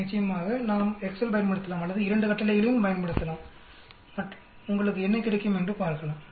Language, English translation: Tamil, Of course, we can use Excel or we can use both the commands and see what do you get